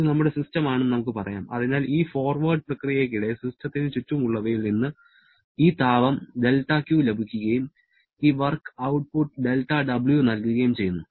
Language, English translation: Malayalam, Let us say this is our system, so during this forward process, the system receives this amount of heat from the surrounding and gives this much of work output